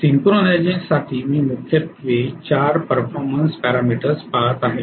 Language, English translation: Marathi, So for synchronization actually I will look at majorly 4 performance or 4 performance parameters